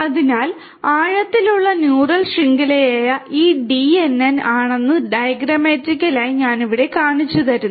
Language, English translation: Malayalam, So, diagrammatically I show you over here that this DNN which is the deep neural network